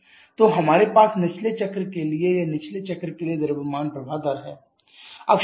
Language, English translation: Hindi, So, we have the mass flow rate for the bottoming cycle or for the lower cycle